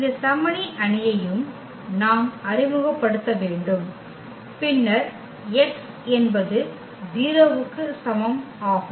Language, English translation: Tamil, Then we have to also introduce this identity matrix and then x is equal to 0